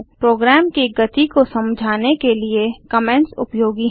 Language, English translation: Hindi, Comments are useful to understand the flow of program